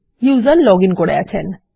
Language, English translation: Bengali, So my user is logged in